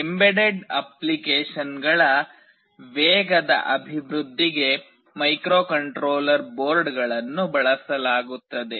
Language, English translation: Kannada, Microcontroller boards are used for fast development of embedded applications